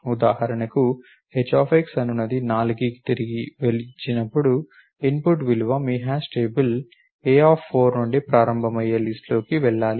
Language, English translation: Telugu, For example, when h of x returns 4 then input value should go in to the list starting from a 4 if a is your hash table